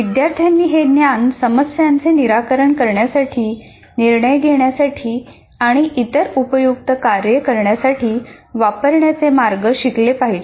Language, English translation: Marathi, And also the students must learn ways to use this knowledge to solve problems, make judgments, and carry out other useful tasks